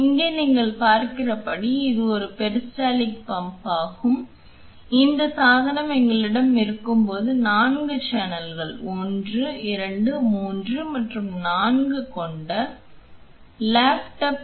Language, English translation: Tamil, Here as you can see this is a peristaltic pump a tabletop pump with 4 channels 1, 2, 3 and 4 when we have this device